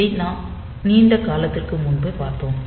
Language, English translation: Tamil, So, this we have seen long back